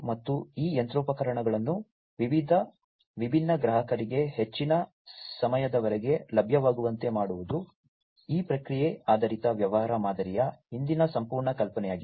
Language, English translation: Kannada, And making these machinery available for increased durations of time to different customers, this is the whole idea behind this process oriented business model